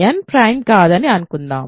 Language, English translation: Telugu, So, suppose n is not prime